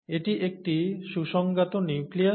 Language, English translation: Bengali, This is a well defined nucleus